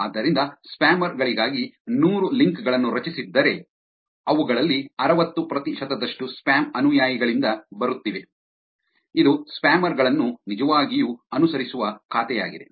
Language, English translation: Kannada, So, if there were 100 links that were created for the spammers, 60 percent of them are coming from the spam followers, which is an account which actually follows back the spammers